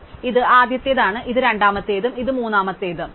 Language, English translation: Malayalam, So, we have this is the first one, this is the second one and this is third one and so on